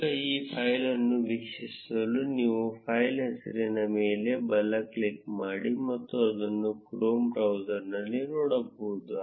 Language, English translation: Kannada, Now to view this file, you can right click on the file name and see it on the chrome browser